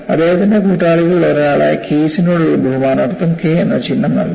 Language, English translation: Malayalam, A symbol K was given in honor of one of his collaborator Keis